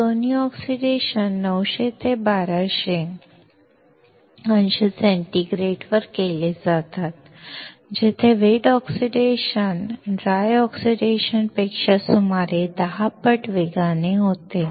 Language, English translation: Marathi, Both of these oxidations are done at 900 to 1200 degree centigrade, where wet oxidation is about 10 times faster than dry oxidation